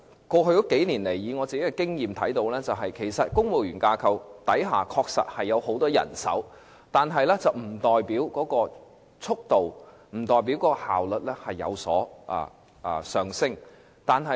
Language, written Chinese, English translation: Cantonese, 過去數年來，雖然我看到公務員架構確實有很多人手，但不代表速度和效率必定提升。, Over the past couple of years although we have seen that the civil service structure has abundant manpower it does not necessarily guarantee enhanced speed and efficiency of the civil service